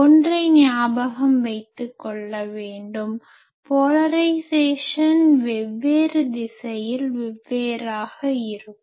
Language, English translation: Tamil, Now, please remember that polarisation of an antenna means that one thing is polarisation is different in different directions